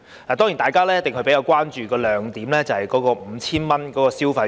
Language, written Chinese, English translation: Cantonese, 當然，大家比較關注的是 5,000 元消費券。, Of course people are more concerned about the 5,000 consumption vouchers